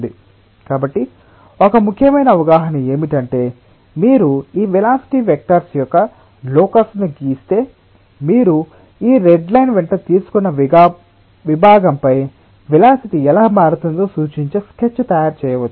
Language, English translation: Telugu, so one of the important understanding is that if you draw the locus of all this velocity vectors, you can make a sketch which will represent how the velocity is varying over the section which is taken along this red line